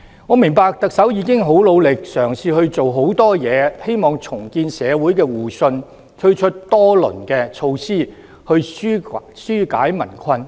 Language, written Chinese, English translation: Cantonese, 我明白特首已經十分努力，嘗試做很多事情，希望重建社會互信，推出多輪措施紓解民困。, I know that the Chief Executive has been working very hard and trying to achieve many things . She wants to re - establish mutual trust in society . She has launched a few rounds of measures to relieve people of their difficulties